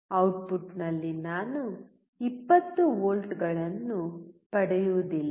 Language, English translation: Kannada, I will not get 20 volts out at the output